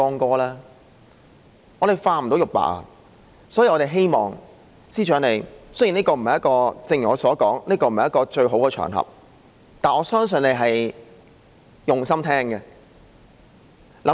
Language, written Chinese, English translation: Cantonese, 我們不能將之化成玉帛，所以，我們希望司長想想方法，雖然這並非一個最好的場合，但我相信他是用心聆聽的，好嗎？, Therefore we hope that the Chief Secretary can figure out some ways . Though it is not the most desirable occasion I believe he is listening wholeheartedly isnt he? . Think about it and come up with some solutions